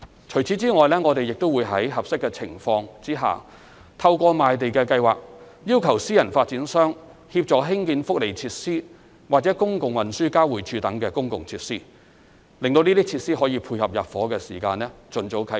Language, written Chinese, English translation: Cantonese, 除此以外，我們會在合適的情況下，透過賣地計劃要求私人發展商協助興建福利設施或公共運輸交匯處等公共設施，使這些設施可以配合入伙時間盡早啟用。, Besides where appropriate private developers will be required under the Land Sale Programme to assist in constructing public facilities such as welfare facilities and public transport interchanges so that such facilities can commence operation early tying in with the population intake as far as practicable